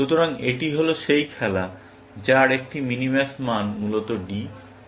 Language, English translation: Bengali, So, this is the game, which has a minimax value of D, essentially